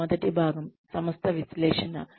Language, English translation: Telugu, First part of this is, organization analysis